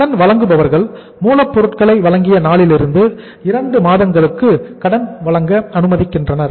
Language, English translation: Tamil, Creditors allow credit for 2 months from the date of delivery of raw material so it means suppliers credit is available for 2 months